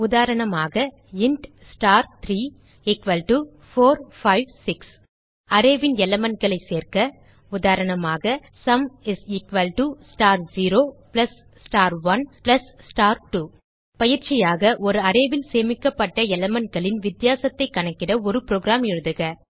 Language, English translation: Tamil, example int star[3]={4, 5, 6} To add the element of the array, example sum is equal to star 0 plus star 1 plus star 2 As an assignment, Write a program to calculate the difference of the elements stored in an array